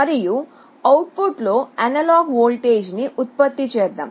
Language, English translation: Telugu, And in the output, we generate an analog voltage